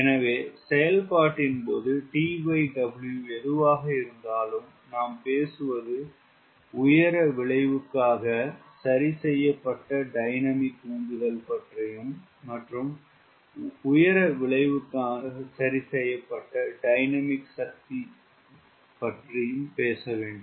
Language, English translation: Tamil, so, whatever t by w, the reoperation we are talking about, we should talk about dynamic thrust corrected for altitude effect, dynamic power corrected for altitude effect